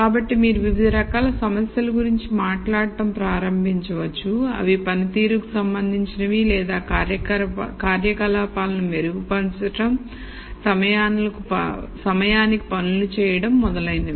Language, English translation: Telugu, So, you could start talking about a class of problems which could be either performance related or improving the operations, doing things on time and so on